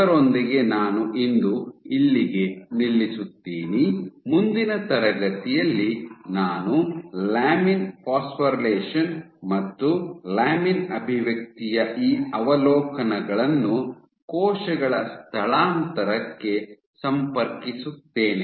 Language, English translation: Kannada, With that I stop here for today, in the next class I will connect these observations of lamin phosphorylation and lamin expression to how these effects cell migration